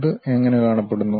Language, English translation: Malayalam, How it looks like